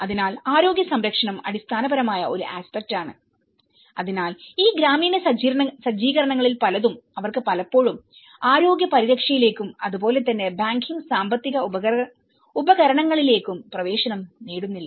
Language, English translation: Malayalam, So, health care which is a fundamental aspect so many of these rural set ups they are not often access to the health care and as well as the banking financial instruments